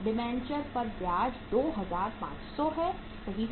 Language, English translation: Hindi, To interest on debentures is 2500 right